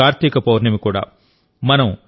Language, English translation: Telugu, This day is also Kartik Purnima